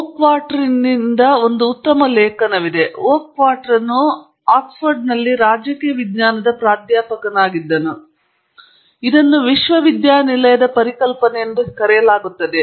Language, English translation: Kannada, There is a nice article by Oakshott, Oakshott was used to be a professor of political science in Oxford and it is called the idea of a university